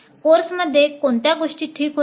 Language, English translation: Marathi, What was the things which are okay with the course